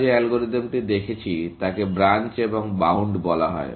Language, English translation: Bengali, The algorithm that we are looking at is called Branch and Bound